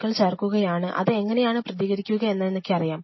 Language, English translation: Malayalam, So, I have this culture dish put that toxins I know how it reacts